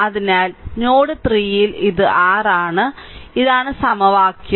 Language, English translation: Malayalam, So, at node 2 this is that equation right